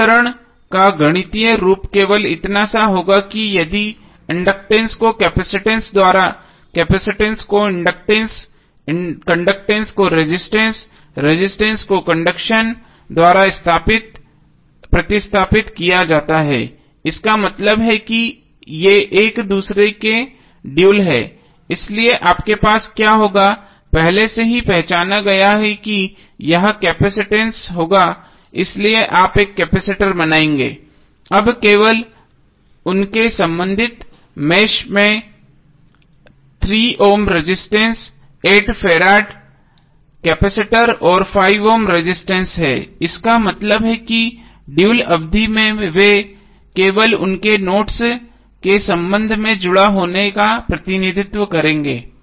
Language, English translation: Hindi, The mathematical form of the equation will be same only if the inductance is replaced by the capacitance, capacitance by inductance, conductance by resistance, resistance by conductance, it means that this are the duals of each other, so what you will do this you have already identified that this will be the capacitance so you will make a capacitor, now the 3 ohm resistance 8 farad capacitor and 5 ohm resistance are only in their respective meshes, it means that in dual term they will represent only respective they will be connected only with respect to their nodes